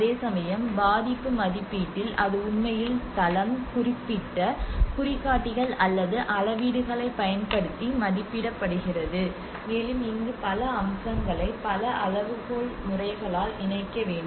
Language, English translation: Tamil, Whereas in the vulnerability assessment it actually has to it is often assessed using the site specific indicators or measurements, and this is where the multiple aspects which has to be combined by multi criteria methods